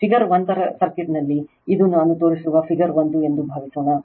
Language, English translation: Kannada, Suppose in the circuit of figure 1 that is this is figure 1 I show you